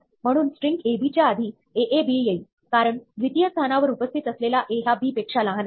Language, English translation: Marathi, So, string like aab will come before ab, because, the second position a is smaller than b